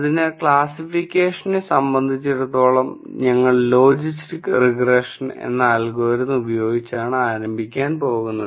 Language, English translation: Malayalam, So, as far as classification is concerned we are going to start with an algorithm called logistic regression